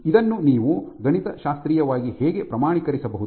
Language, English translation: Kannada, How can you mathematically quantify this